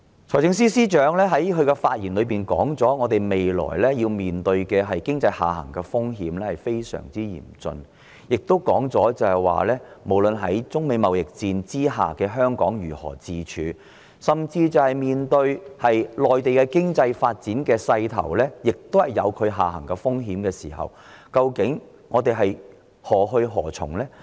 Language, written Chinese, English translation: Cantonese, 財政司司長在發言時指出，香港未來面對的經濟下行風險非常嚴峻，也提及在中美貿易戰下，香港應該如何自處，甚至是在內地的經濟發展勢頭也有下行風險的時候，究竟香港應該何去何從？, The Financial Secretary pointed out in his speech that the downside risk of Hong Kong economy is most critical and he also talked about what Hong Kong should do in the trade war between China and the United States